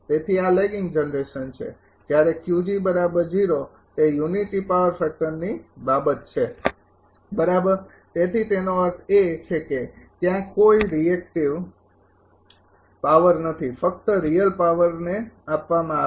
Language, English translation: Gujarati, So, this is lagging generation when Q g is equal to 0 it is unity power factor thing right so; that means, there is there is no reactive power only real power being injected